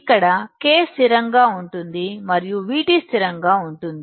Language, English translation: Telugu, Here K is constant and V T is constant